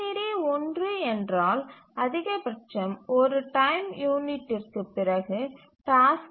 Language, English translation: Tamil, So if the GCD is one then then at most after one time unit the task can occur